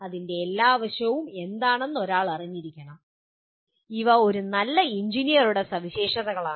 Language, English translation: Malayalam, One should be aware of what are all its facets and these are broadly the characteristics of a good engineer